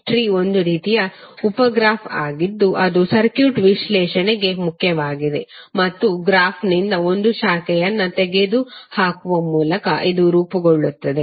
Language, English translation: Kannada, Tree is one kind of sub graph which is important for our circuit analysis and it is form by removing a branch from the graph